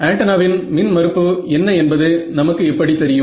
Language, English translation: Tamil, So, how do we know what is the impedance of the antenna